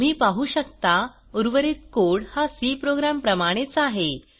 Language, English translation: Marathi, You can see that the rest of the code is similar to our C program